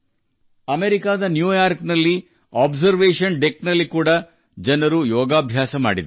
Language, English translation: Kannada, People also did Yoga at the Observation Deck in New York, USA